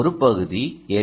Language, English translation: Tamil, so it can be an l